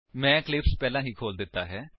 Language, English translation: Punjabi, I have already opened Eclipse